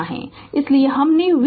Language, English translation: Hindi, So, that is why I have written V is equal to 100 volts